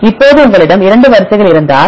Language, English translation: Tamil, Now, if you have 2 sequences